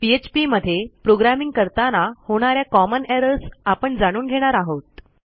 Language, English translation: Marathi, I will go through some of the common errors you might encounter when you are programming in PHP